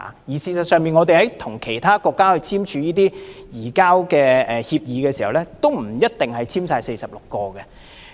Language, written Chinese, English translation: Cantonese, 事實上，我們跟其他國家簽署移交逃犯協定時，也不一定全部納入這46項罪類。, In fact when Hong Kong entered into agreements with other countries we do not necessarily include all of the 46 items of offences